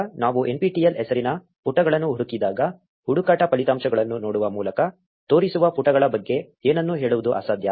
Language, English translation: Kannada, Now when we search for pages with the name nptel, it is impossible to tell anything about the pages which show up by just looking at the search results